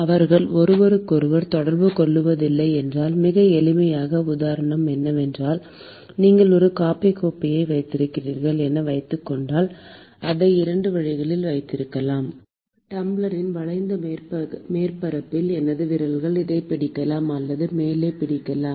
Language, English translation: Tamil, Supposing if they are not in contact with each other; a very simple example is, supposing you are holding a coffee cup, there are 2 ways of holding it: I could hold it like this with all my fingers on the curved surface of the tumbler or I could hold it just at the top